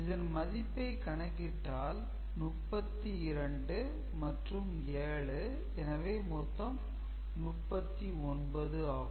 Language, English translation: Tamil, And you can see this to be 32 and these 3 together is 7 we know, so 39